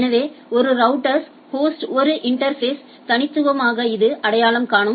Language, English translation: Tamil, So, uniquely it identifies in interface on a host on a router there is a interface right